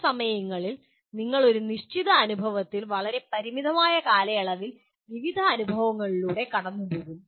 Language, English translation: Malayalam, Sometimes you in a given experience you will go through various experiences in a limited period